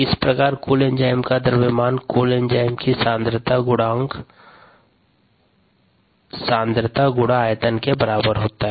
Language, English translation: Hindi, therefore, the mass of the total enzyme, e, t, is the concentration of the total enzyme times the volume